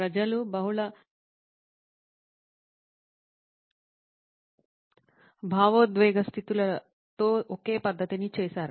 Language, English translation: Telugu, People have done the same method with multiple emotional states